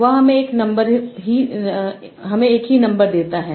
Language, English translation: Hindi, That gives me a a single number